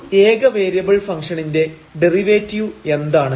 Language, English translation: Malayalam, So, what is derivative for a function of single variable